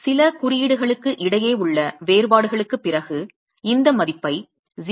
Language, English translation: Tamil, Instead, after a differences between few codes we adopt this value of 0